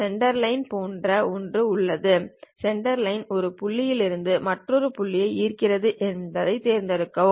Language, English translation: Tamil, There is something like a Centerline, pick that Centerline draw from one point to other point